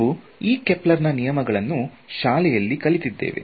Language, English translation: Kannada, So, we all studied these Kepler’s law in school right